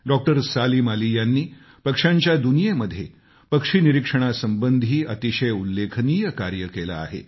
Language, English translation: Marathi, Salim has done illustrious work in the field of bird watching the avian world